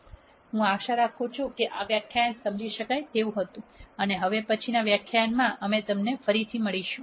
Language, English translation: Gujarati, I hope this lecture was understandable and we will see you again in the next lecture